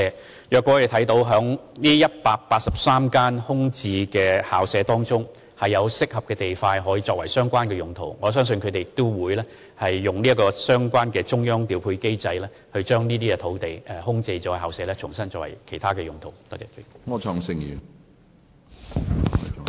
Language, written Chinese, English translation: Cantonese, 倘若教育局在這183幅空置校舍用地中，找到適合地塊作相關用途，我相信局方會循中央調配機制申請把相關空置校舍用地重新作為其他用途。, If the Education Bureau considers any of the 183 VSP sites suitable for the said purpose I think the Bureau will apply to use the specific site again through the Central Clearing House mechanism